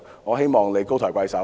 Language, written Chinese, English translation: Cantonese, 我希望他們高抬貴手。, I hope they will show some mercy